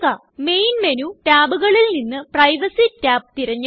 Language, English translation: Malayalam, Choose the Privacy tab from the list of Main menu tabs